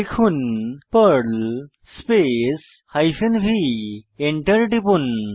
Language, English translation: Bengali, Then, type perl hyphen v and then press ENTER